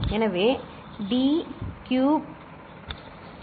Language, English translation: Tamil, So, d cube, d 4